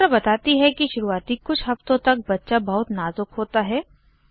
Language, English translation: Hindi, The doctor explains that during the first few weeks, the baby is very delicate